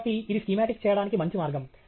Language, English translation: Telugu, So, this is a nice way of doing a schematic